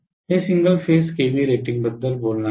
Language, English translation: Marathi, It will not talk about single phase kva rating